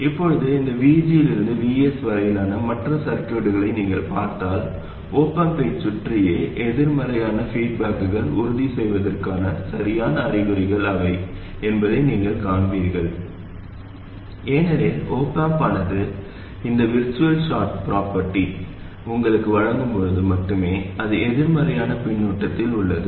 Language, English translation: Tamil, Now if you look at the rest of the circuit from this V G to VS, you will find that this is the correct sign of the – these are the correct signs for the op amp to ensure negative feedback around the op amp itself because the op am gives you this virtual short property only when it is in negative feedback